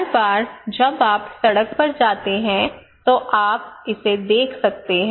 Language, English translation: Hindi, Every time you go on road you can see this one